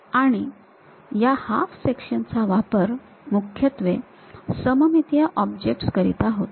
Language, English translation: Marathi, And, these half sections are used mainly for symmetric objects